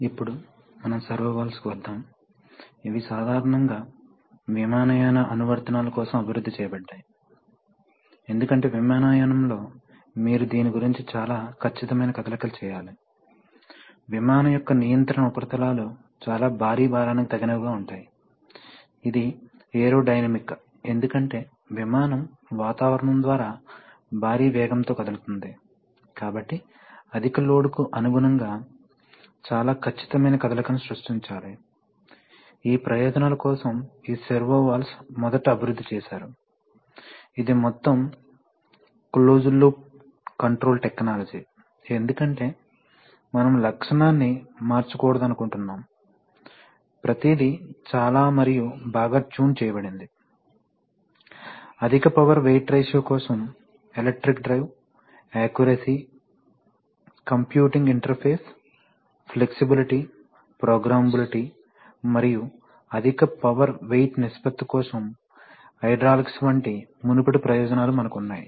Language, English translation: Telugu, Now let us come to servo valves, they are, they were typically developed for aviation applications because in aviation you have to make very precise movements of this, of this, of this control surfaces of the aircraft against very heavy load, which is aerodynamic because the aircraft is moving at huge speed through the atmosphere, so very precise motion has to be created against high load, it is for these purposes that these servo valves are originally developed, it is a total closed loop control technology because you do not want the characteristic to change, everything is very tuned and well, you have all the previous advantages like electric drive, accuracy, computing interface, flexibility, programmability and hydraulics, for high power weight ratio